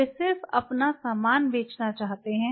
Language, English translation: Hindi, They just wanted to push their stuff